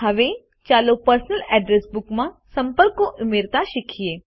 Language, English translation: Gujarati, Now, lets learn to add contacts in the Personal Address Book